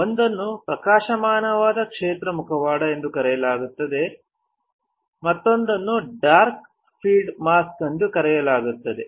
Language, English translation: Kannada, One is called bright field mask another one is called dark field mask right